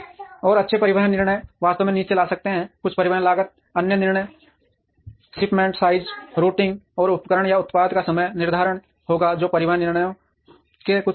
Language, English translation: Hindi, And good transportation decisions can actually bring down, the total transportation cost other decisions would be shipment sizes routing and scheduling of equipment or product are some of the factors in transportation decisions